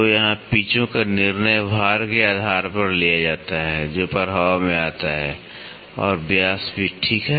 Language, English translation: Hindi, So, here the pitches decision is taken based upon the loads which come into effect and also the diameter, ok